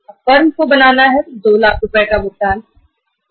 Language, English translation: Hindi, Firm has to make the payment of 2 lakh rupees